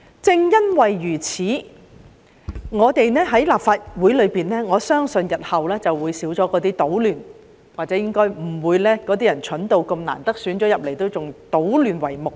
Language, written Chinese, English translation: Cantonese, 正因如此，我相信立法會日後會減少搗亂，當選為議員的人應該不會愚蠢到即使艱辛當選仍以搗亂為目的。, Precisely because of this I believe there will be less chaos in the Legislative Council in the future . Members who have overcome all the difficulties and returned by the election would not be stupid enough to aim at being a trouble - maker as the goal